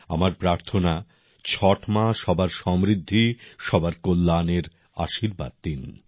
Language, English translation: Bengali, I pray that Chhath Maiya bless everyone with prosperity and well being